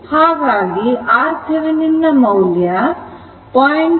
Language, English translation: Kannada, So, R thevenin will be is equal to 0